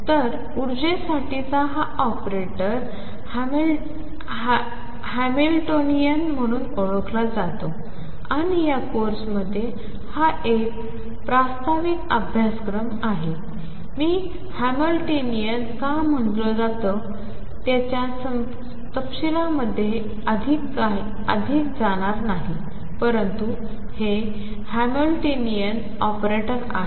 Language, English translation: Marathi, So, this operator for the energy is known as the Hamiltonian and in this course this is an introductory course, I am not going to go more into details of why this is called Hamiltonian, but this is the Hamiltonian operator